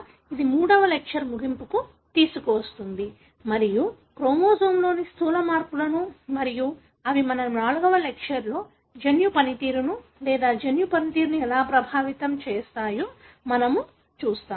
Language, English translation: Telugu, That brings the third lecture to its end and we will be looking at gross changes in the chromosome and how they affect the gene function or genome function in our fourth lecture